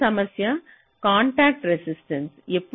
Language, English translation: Telugu, so another issue is the contacts resistance